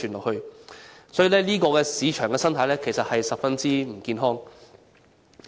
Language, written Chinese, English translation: Cantonese, 因此，這種市場生態其實是十分不健康的。, Therefore such market ecology is actually most unhealthy